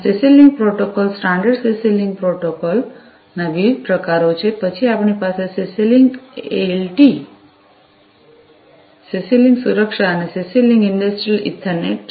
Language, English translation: Gujarati, So, these are the different variants of the CC link protocol, the standard CC link protocol, then we have the CC link LT, CC link safety, and CC link Industrial Ethernet